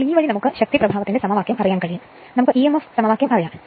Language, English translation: Malayalam, So, this way will we know the force equation, we know the emf equation right everything we know